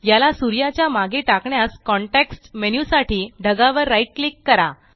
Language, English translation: Marathi, To send it behind the sun, right click on the cloud for the context menu